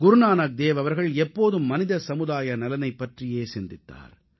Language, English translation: Tamil, Guru Nanak Dev Ji always envisaged the welfare of entire humanity